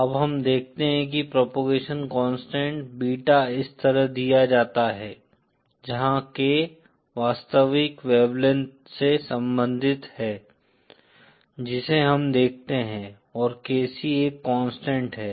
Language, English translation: Hindi, Now we see that the propagation constant Beta is given like this, where K is related to the actual wavelength that we see and KC is a constant